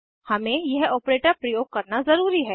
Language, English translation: Hindi, We must use this operator